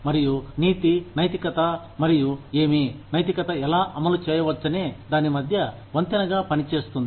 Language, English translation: Telugu, And, ethics serves as a bridge between, morality, and what, how morality can be implemented